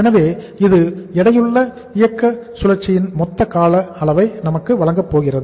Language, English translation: Tamil, So this is going to give us the total duration of the weighted operating cycle